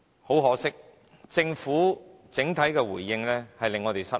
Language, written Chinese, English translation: Cantonese, 很可惜，政府整體的回應令我們失望。, Unfortunately the overall response of the Government is disappointing